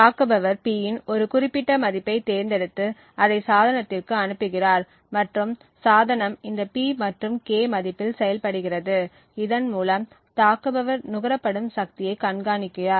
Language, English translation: Tamil, So, the attack goes like this, the attacker chooses a particular value of P and sends it to the device and while the device is computing on this P and K value, the attacker has monitored the power consumed